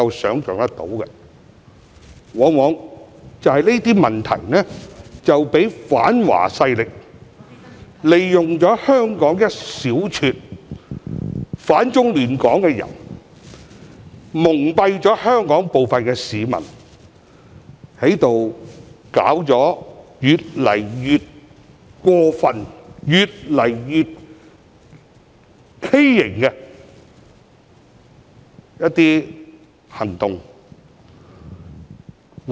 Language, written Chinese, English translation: Cantonese, 所衍生的問題往往讓反華勢力，利用香港一小撮反中亂港的人蒙蔽香港部分市民，並作出一些越來越過分、越來越畸形的行動。, The problems arising therefrom were often exploited by anti - China forces which made use of a small group of anti - China disruptors from Hong Kong to deceive some Hong Kong people and take increasingly outrageous and deviant actions